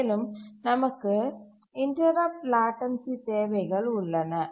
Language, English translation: Tamil, And also we have interrupt latency requirements